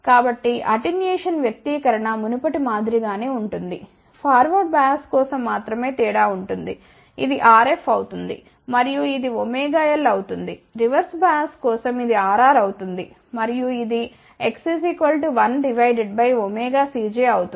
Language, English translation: Telugu, So, attenuation expression is exactly same as before only difference is for forward bias this will be R f and this will be omega L, for reverse bias this will be R r and this will be 1 divided by omega C j